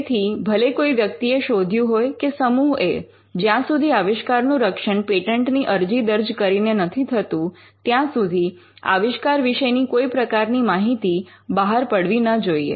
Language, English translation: Gujarati, So, regardless of what a person or a team develops in the university, it is important that the invention is not disclosed until it is protected by filing a patent application